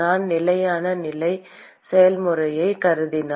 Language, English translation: Tamil, And if I assume the steady state process